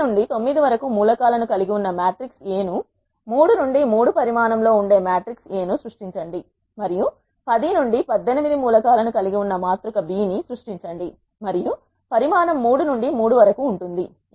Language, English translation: Telugu, Let us illustrate this lapply using example here create a matrix A which is having the elements from 1 to 9 which is of size 3 by 3 and create a matrix B which are having the elements 10 to 18 and which is of size 3 by 3